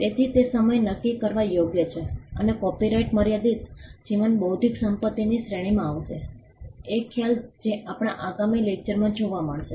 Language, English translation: Gujarati, So, it is the time bound right and copyright will fall within the category of limited life intellectual property, a concept which will be seen in our forthcoming lectures